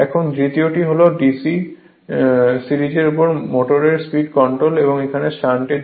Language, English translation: Bengali, Now, second one is that speed control of DC series motor, now this is for shunt